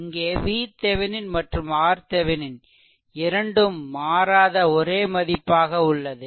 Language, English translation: Tamil, So, V Thevenin is fixed R Thevenin is fixed only R L is changing